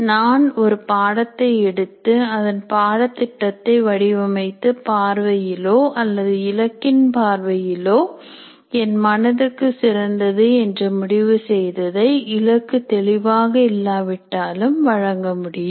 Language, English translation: Tamil, I just pick a course, design my syllabus and offer it the way I consider the best, either from the subject perspective or whatever goals that I have in mind, even the goals are not particularly stated